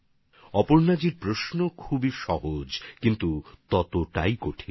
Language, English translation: Bengali, " Aparna ji's question seems simple but is equally difficult